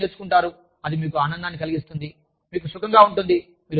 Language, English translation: Telugu, You learn something, that makes you feel happy, that makes you feel comfortable